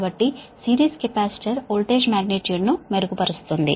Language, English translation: Telugu, so series capacitor, actually it improves the voltage